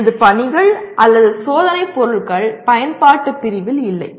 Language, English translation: Tamil, My assignments or test items are not in the Apply category